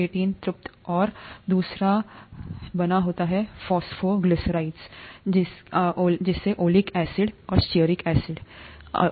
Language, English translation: Hindi, C18 saturated; and the other is made up of phosphoglycerides containing oleic and stearic acids